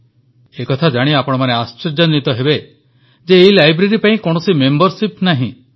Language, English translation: Odia, You will be surprised to know that there is no membership for this library